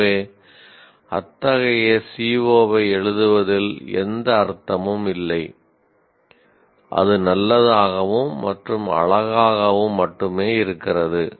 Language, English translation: Tamil, So, there is no point in writing such a C O, just because it is good and looks good